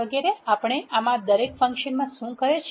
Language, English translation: Gujarati, Let us see what each of these functions does